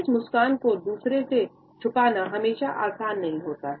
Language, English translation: Hindi, It is not always easy to conceal this smile from others